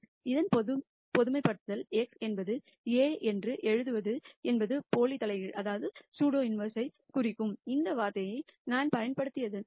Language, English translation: Tamil, The generalization of this is to write x is A plus I have used this term to denote the pseudo inverse b